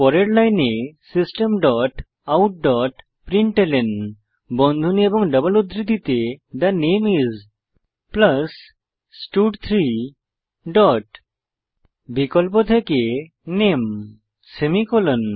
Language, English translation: Bengali, next line type System dot out dot println within brackets and double quotes The name is, plus stud3 dot name semicolon